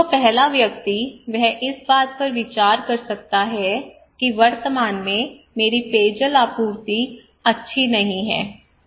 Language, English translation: Hindi, So the first person, he may consider that, my real water is really bad the present my drinking water supply is not good